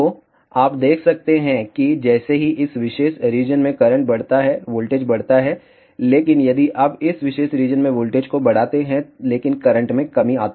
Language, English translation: Hindi, So, you can see that as current increases voltage increases in this particular region, but if you see in this particular region voltage increases, but current decreases